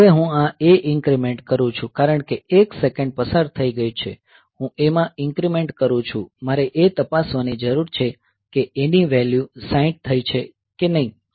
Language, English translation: Gujarati, Now I increment A because 1 second has passed; so, I increment A; so, that is I need to check whether the A value has become 60 or not